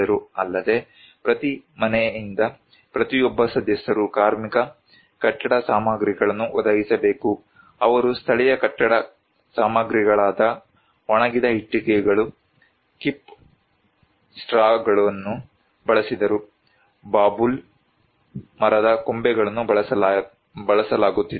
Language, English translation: Kannada, Also, each one member from each house they should provide labour, building materials; they used the local building materials like sun dried bricks, Khip straw, branches of the babool tree were used